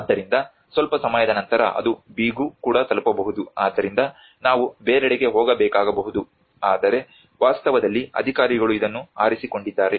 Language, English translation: Kannada, So sometime later it may reach to B as well so we may have to go somewhere else, but in reality the authorities have chosen this